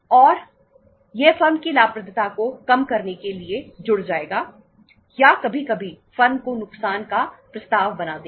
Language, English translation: Hindi, And that will add up to the say say reducing the profitability of the firm or sometimes making the firm a loss making proposition